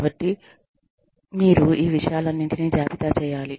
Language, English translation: Telugu, So, you will make a list of, all of these things